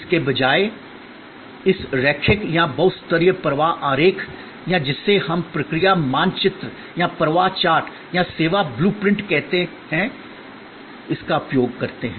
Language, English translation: Hindi, These instead of using this linear or multi level flow diagrams or what we call process maps or flow charts or service blue print